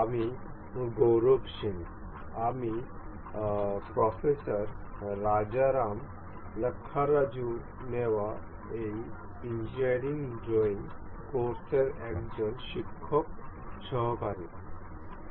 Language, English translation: Bengali, I am Gaurav Singh, I am a teaching assistant for this Engineering Drawing Course taken by Professor Rajaram Lakkaraju